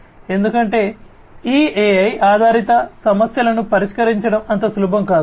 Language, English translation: Telugu, Because, many of these AI based problems are not easy to solve